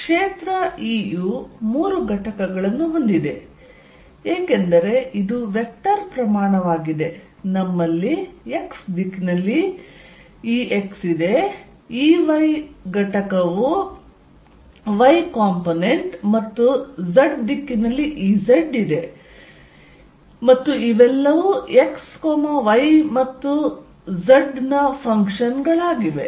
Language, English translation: Kannada, E has 3 components, because it is a vector quantity, we have E x in x direction is y component and E z and these are all functions of x, y and z, these are all functions of x, y and z, x, y and z